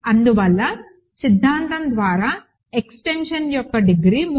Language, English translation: Telugu, And hence by the theorem, the degree of the extension is 3